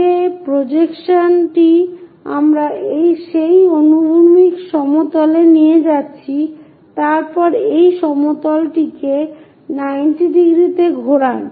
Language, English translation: Bengali, The projection what we are going to have it on that horizontal plane take it, then rotate this entire plane by 90 degrees